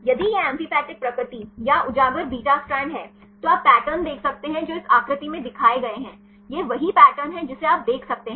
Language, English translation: Hindi, If it is amphipathic nature or the exposed beta strand you can see pattern which are shown in this figure right this is the pattern you can see